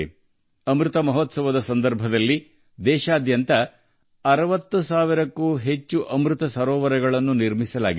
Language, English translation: Kannada, During the Amrit Mahotsav, more than 60 thousand Amrit Sarovars have also been created across the country